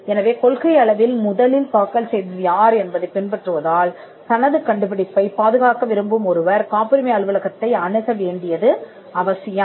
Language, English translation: Tamil, So, because it follows the first to file in principle it is necessary that a person who wants to protect his invention approaches the patent office